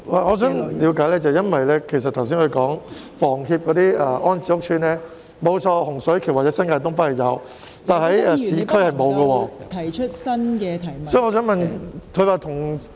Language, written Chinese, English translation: Cantonese, 我想了解一下，因為局長剛才提到房協的安置屋邨，洪水橋或新界東北的確有，但市區是沒有的。, I would like to have more details as the Secretary has mentioned the rehousing estates provided by HKHS just now . There are indeed such estates in Hung Shui Kiu or North East New Territories but there is none in the urban area